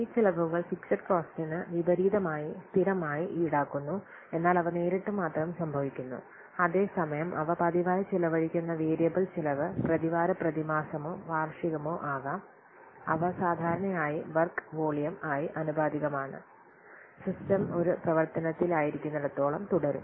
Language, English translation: Malayalam, And etc these are one time cost these are known as the fixed costs similarly variable cost so these costs are incurred on a regular basis in contrast to the fixed cost which are but only encountered once they occur only once whereas variable cost they are incurred on a regular basis might be weekly monthly yearly, they are usually proportional to the work volume and continue as long as the system is in operation